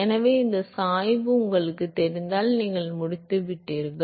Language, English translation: Tamil, So, if you know this gradients you are done